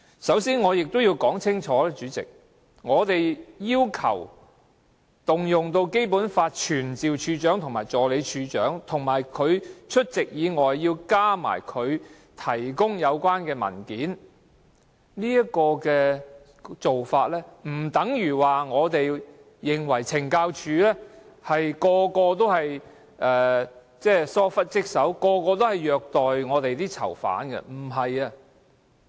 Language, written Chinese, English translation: Cantonese, 首先我要說清楚，我們要求引用《基本法》傳召懲教署署長及助理署長出席立法會，並提供有關的文件，並不代表我們認為所有懲教人員均玩忽職守、虐待囚犯。, First of all I have to make it clear that our summoning of the Commissioner and the Assistant Commissioner of Correctional Services Operations to attend before the Council and to produce relevant papers does not mean that we consider all CSD officers are guilty of dereliction of duty and prisoner abuse